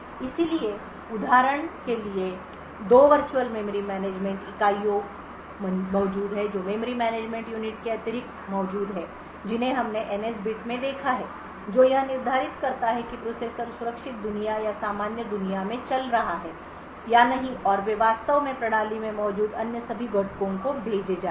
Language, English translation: Hindi, So for example there are two virtual memory management units that are present in addition to the memory management unit which we have seen the NS bit which determines whether the processor is running in secure world or normal world and they actually sent to all other components present in the system